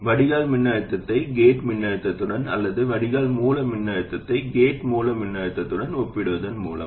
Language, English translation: Tamil, By comparing the drain voltage to the gate voltage or drain source voltage to gate source voltage